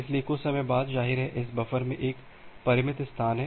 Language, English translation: Hindi, So, after some time; obviously, this buffer has a finite space